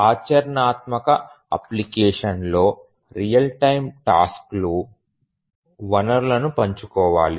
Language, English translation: Telugu, In a practical application, the real time tasks need to share resources